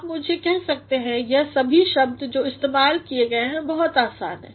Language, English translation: Hindi, You may tell me that all these words which have been used are very easy